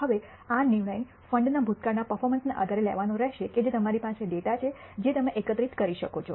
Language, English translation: Gujarati, Now this decision has to be made based on past performance of the fund which you have data which you can collect